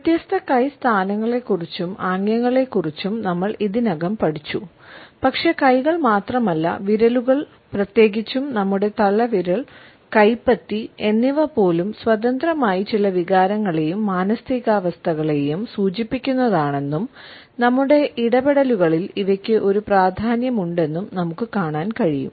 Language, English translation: Malayalam, We have looked at different hand positions and gestures, but we find that it is not only the hands, but also the fingers independently as well as our thumb, even palm are indicative of certain emotions and moods and have a significance in our interactions